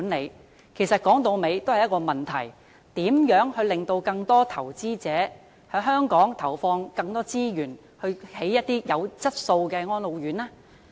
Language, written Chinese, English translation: Cantonese, 說到底，這其實關乎一個問題：如何令更多投資者在香港投放更多資源興建有質素的安老院呢？, After all this is actually about one question How can we make more investors inject more resources into the building of quality RCHEs in Hong Kong?